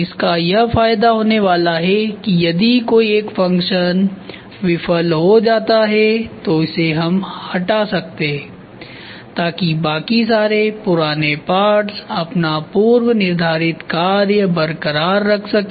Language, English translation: Hindi, The advantage is going to be if one particular function fails then replace this alone rest of the old parts can be retain for their application